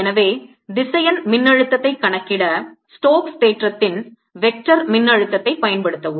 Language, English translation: Tamil, so use the vector potential of stokes theorem to calculate vector potential